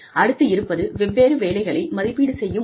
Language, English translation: Tamil, The method of evaluation of different jobs